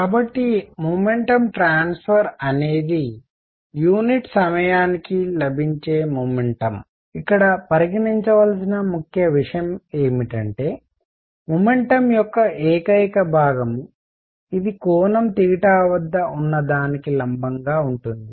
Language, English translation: Telugu, So, momentum per unit time whatever momentum transfer is there; the only component of momentum that matters is this perpendicular to this which is at an angle theta